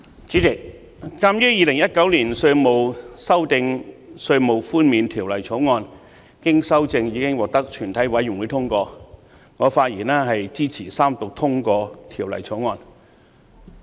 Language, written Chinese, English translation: Cantonese, 主席，鑒於《2019年稅務條例草案》經修正後已經獲得全體委員會通過，我發言支持三讀通過《條例草案》。, President I speak in support of the Third Reading of the Inland Revenue Amendment Bill 2019 the Bill which has been passed by committee of the whole Council with amendments